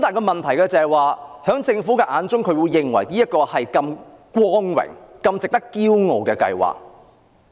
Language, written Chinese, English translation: Cantonese, 問題是在政府眼中，這是一項很光榮和值得驕傲的計劃。, The point is in the eyes of the Government this is a glorious project to be proud of